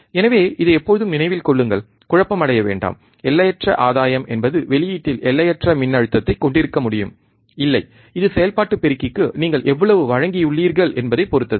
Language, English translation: Tamil, So, this always remember do not get confuse that oh infinite gain means that we can have infinite voltage at the output, no, it depends on how much supply you have given to the operational amplifier, alright